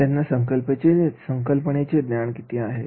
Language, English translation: Marathi, How much do students know about the subject